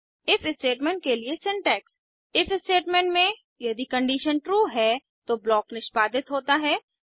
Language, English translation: Hindi, Syntax for If statement In the if statement, if the condition is true, the block is executed